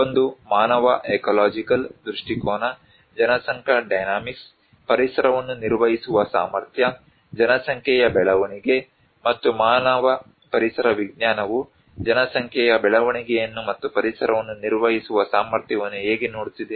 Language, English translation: Kannada, One is human ecological perspective, population dynamics, capacity to manage the environment, population growth, and how human ecology is looking at population growth and the capacity to manage the environment